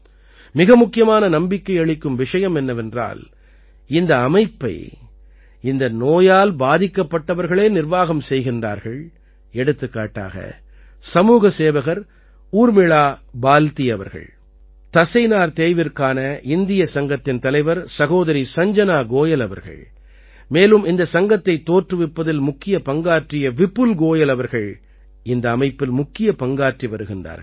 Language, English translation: Tamil, The most encouraging thing is that the management of this organization is mainly done by people suffering from this disease, like social worker, Urmila Baldi ji, President of Indian Association Of Muscular Dystrophy Sister Sanjana Goyal ji, and other members of this association